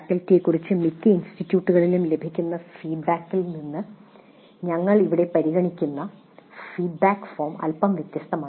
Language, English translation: Malayalam, The feedback form that we are considering here is slightly different from the feedback that most of the institutes do get regarding the faculty